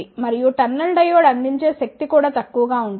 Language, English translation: Telugu, And the power provided by the tunnel diode will also be low